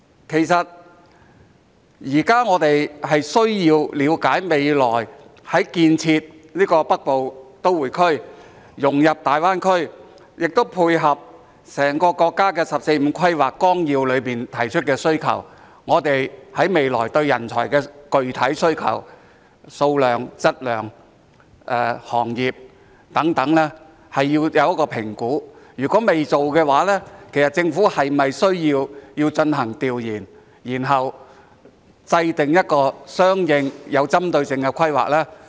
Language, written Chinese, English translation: Cantonese, 其實，現在我們需要了解，未來建設的北部都會區須融入大灣區，亦須配合整個國家的《十四五規劃綱要》中提出的需求，所以我們對未來在人才方面的具體需求，包括數量、質量、行業等是要作出一個評估；如果未有評估，其實政府是否需要進行調研，然後制訂一個相應、有針對性的規劃呢？, In fact we need to understand that the future Northern Metropolis must be integrated into the Greater Bay Area and also must cater for the needs of the whole country as stated in the National 14th Five - Year Plan . Hence we need to make an assessment of the specific needs in terms of talents in the future including the quantity quality industries and so on . If there is no assessment does the Government need to conduct surveys and studies and formulate a corresponding and targeted plan?